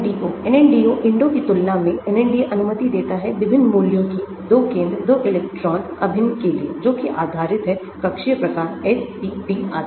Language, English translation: Hindi, NNDO compared to INDO, NNDO allows different values for the 2 center 2 electron integrals depending upon the orbital type s,p,d etc